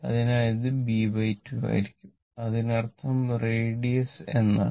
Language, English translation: Malayalam, So, it will be b by 2 that is, it is b by 2 means the radius, right